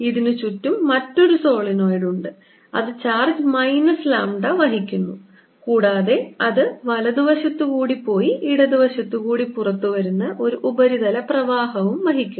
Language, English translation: Malayalam, this is surrounded by another solenoid which is also carrying charge lambda, with the minus, minus lambda, and also carries a surface current, say going on the right side, coming out in the left side